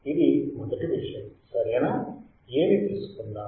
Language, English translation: Telugu, This is first thing all right, let us say A